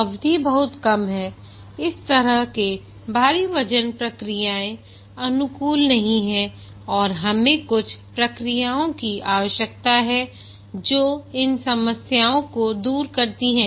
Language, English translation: Hindi, And specifically now that the project durations are very short, such heavyweight processes are not finding favor and we need some processes which do away with these problems